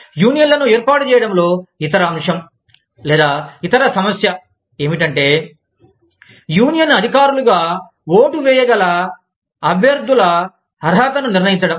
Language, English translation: Telugu, The other aspect, or, the other issue, in making unions is, determining the eligibility of candidates, who can be voted for, as the officials of the union